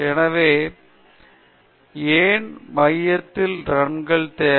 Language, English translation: Tamil, So, why do we require the runs at the center